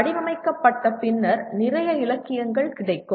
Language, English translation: Tamil, And then having formulated, there would be lot of literature available